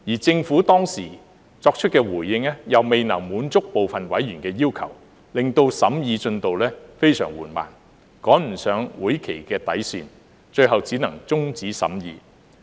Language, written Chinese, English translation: Cantonese, 政府當時作出的回應又未能滿足部分委員的要求，令審議進度非常緩慢，趕不上會期的底線，最後只能終止審議。, At that time the Governments response failed to satisfy the requests of some members . Consequently the progress of scrutiny was so slow that it could not meet the deadline of the session . Eventually the scrutiny could not but be terminated